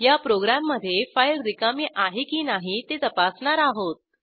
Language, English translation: Marathi, In this program, we will check whether a given file is empty or not